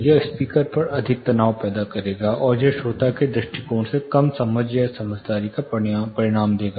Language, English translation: Hindi, It will create more strain on the speaker side, and it will result in less understanding or intelligibility from the listener's perspective